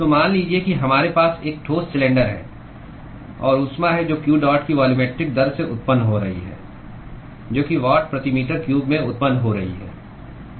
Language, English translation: Hindi, So, let us say that we have a solid cylinder; and there is heat that is being generated at a volumetric rate of q dot that is in watt per meter cube of heat that is being generated